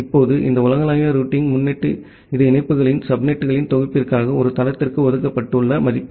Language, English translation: Tamil, Now, this global routing prefix it is a value which is assigned to a site for a cluster of subnets of the links